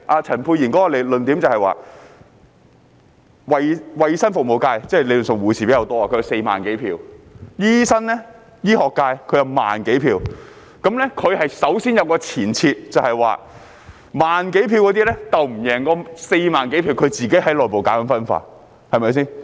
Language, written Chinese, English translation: Cantonese, 陳沛然議員的論點是，衞生服務界理論上以護士人數佔多，有4萬多選票，醫生、醫學界則有1萬多選票，他首先有一個前設，便是1萬多選票不能勝過4萬多選票，他自己在內部搞分化，對嗎？, According to Dr Pierre CHANs argument nurses are in the majority in the health services sector holding 40 000 - odd votes whereas doctors and the medical sector only have some 10 000 votes . His argument is made on the assumption that those holding 10 000 - odd votes cannot prevail over the 40 000 - odd votes . He is creating division within his camp is he not?